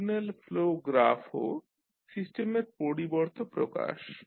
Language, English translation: Bengali, So, Signal Flow Graphs are also an alternative system representation